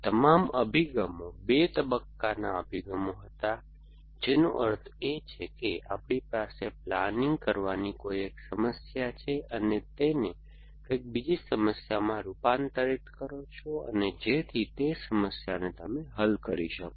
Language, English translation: Gujarati, All these approaches were 2 stage approaches which means you have at we have a planning problem, you converted into something else and solve that problem essentially